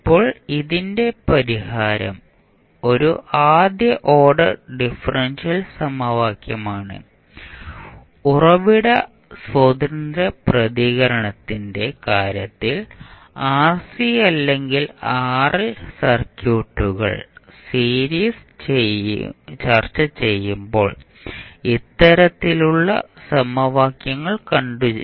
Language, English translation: Malayalam, Now, the solution of this because this is a first order differential equation and we have seen these kind of equations when we discussed the series rc or rl circuits in case of source free response